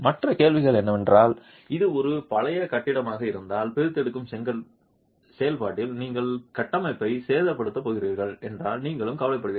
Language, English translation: Tamil, And the other question is if it's an old building, you're also worried if you're going to damage the structure in the process of extracting